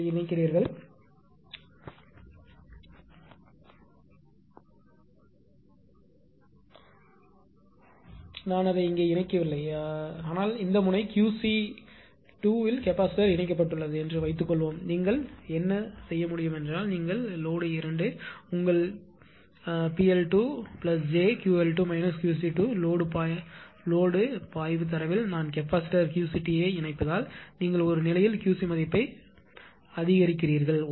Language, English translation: Tamil, So, what you can do is suppose you are connecting I am not putting it connecting it here, but suppose capacitor is connected at this node Q c 2, what you can do is then then you are load 2 PL, your PL 2 plus it will become actually j Q L 2 minus j Q C 2 because I am connecting capacitor Q c 2 in the load flow data right you just increase the Q c value in a state